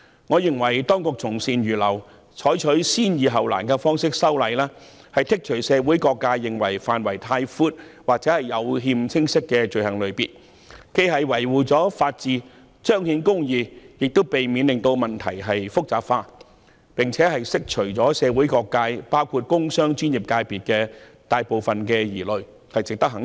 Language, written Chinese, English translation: Cantonese, 我認為當局從善如流，採取"先易後難"的方式修例，剔除社會各界認為範圍太闊或有欠清晰的罪類，既能維護法治和彰顯公義，亦能避免問題變得複雜，並且釋除社會各界，包括工商專業界別的大部分疑慮。, I think that the Administration has accepted good advice and adopted the approach of resolving the simple issues before the difficult ones in making legislative amendments . It excludes items of offences that are considered by the community as having a too extensive scope or inexplicit . This can uphold the rule of law and manifest justice prevent the problem from becoming complicated as well as allay the concerns of various sectors of the community including the business and professional sectors